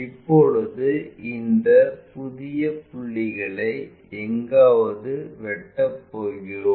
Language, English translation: Tamil, Now, it is going to intersect these new points somewhere there